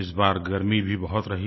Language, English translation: Hindi, It has been extremely hot this year